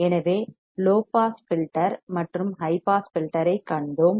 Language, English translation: Tamil, So, we have seen low pass filter and high pass filter